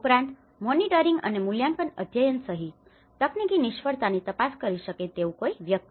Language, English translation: Gujarati, Also, someone who can investigate the technical failures including monitoring and evaluation studies